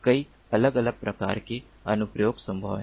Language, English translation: Hindi, many different types of applications are possible